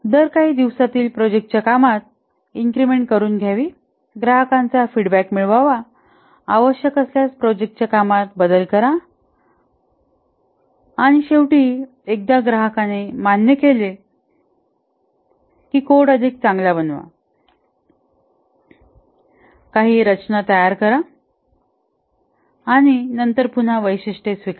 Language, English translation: Marathi, Develop over increment every few days increments to be given get customer feedback, alter if necessary and then finally once accepted by the customer refactor, make the code better, put some design and then take up the next feature